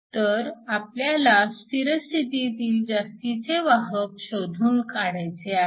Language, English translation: Marathi, So, we need to calculate the excess carriers at steady state